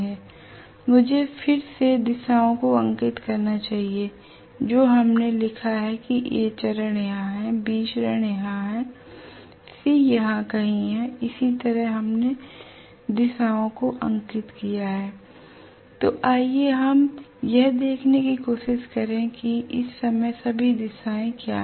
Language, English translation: Hindi, Let me again redraw the directions of what we wrote as A phase is here B phase is somewhere here and C phase is somewhere here this is what, this is how we drew the directions right